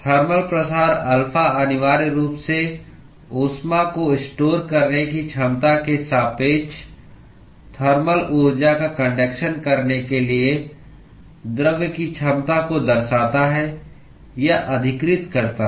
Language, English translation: Hindi, Thermal diffusivity alpha essentially characterizes or captures the ability of the material to conduct thermal energy relative to its ability to store heat